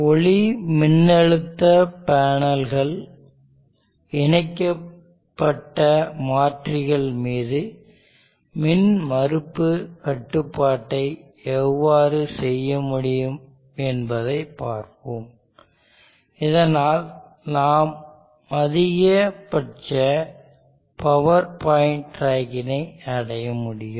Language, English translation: Tamil, Let us see how we can perform impedance control on converters interface to photovoltaic panels, so that we can achieve maximum power point tracking